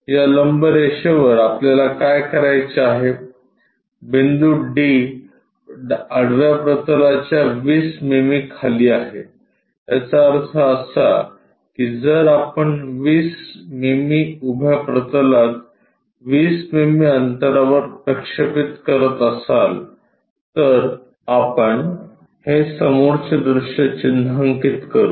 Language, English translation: Marathi, On this perpendicular line what we have to do point d is 20 mm below horizontal plane; that means, if we are projecting that 20 mm onto vertical plane at a 20 mm distance we will mark this front view